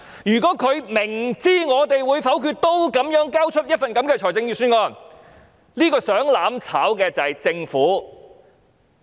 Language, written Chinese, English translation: Cantonese, 如果政府明知我們會否決預算案仍交出一份這樣的預算案，想"攬炒"的就是政府。, If the Government submits such a Budget even though fully knowing that we will vote against it the Government is the one who wants mutual destruction